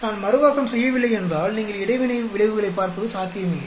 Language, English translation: Tamil, If we do not replicate, it is not possible for you to look at interaction effects